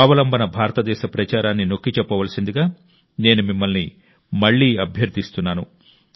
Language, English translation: Telugu, I again urge you to emphasize on Aatma Nirbhar Bharat campaign